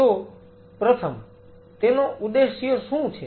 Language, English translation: Gujarati, So, first what is the objective and what is the purpose